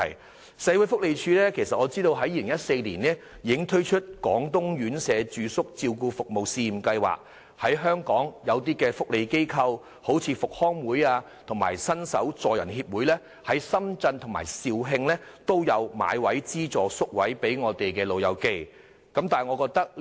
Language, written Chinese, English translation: Cantonese, 據我所知，社會福利署已於2014年推行廣東院舍住宿照顧服務試驗計劃，讓一些香港福利機構，例如香港復康會和伸手助人協會，在深圳和肇慶購買資助宿位供香港長者入住。, To my knowledge SWD has launched in 2014 the Pilot Residential Care Services Scheme in Guangdong under which welfare organizations in Hong Kong such as the Hong Kong Society for Rehabilitation and the Helping Hand can purchase subsidized residential care places in Shenzhen and Zhaoqing for application by the elderly in Hong Kong